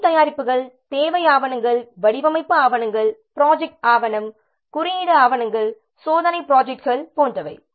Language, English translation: Tamil, The work products could be requirement documents, design documents, project plan document, code documents, test plans, etc